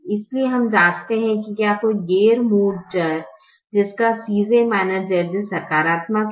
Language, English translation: Hindi, so we check whether there is a non basic variable which has a positive c j minus z j